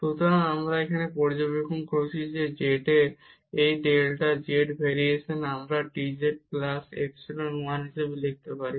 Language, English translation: Bengali, So, what we observe now that this delta z variation in z we can write down as dz plus epsilon 1